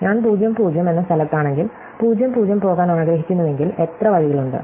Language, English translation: Malayalam, So, if I am at ( and I want to go to (, how many ways are there